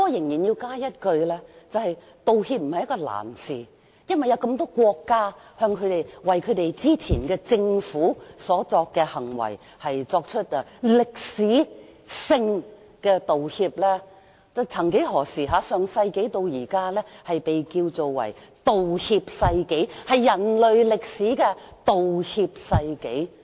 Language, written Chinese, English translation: Cantonese, 然而，我仍要指出，道歉並非難事，因為有那麼多國家為本身政府之前的行為作出歷史性的道歉，曾幾何時，上世紀被稱為"道歉世紀"，是人類歷史上的道歉世紀。, But still I must point out that it is not difficult to make an apology because many countries have already tendered historic apologies for the wrongdoings of their past governments . You see the last century was once called A Century of Apology in the history of mankind